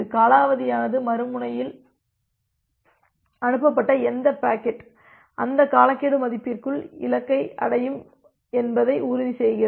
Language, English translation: Tamil, The timeout ensures that whatever packet that has been sent by the other end, that will reach at the destination within that timeout value